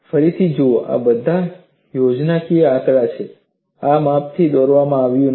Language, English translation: Gujarati, See again, these are all schematic figures; these are not drawn to scale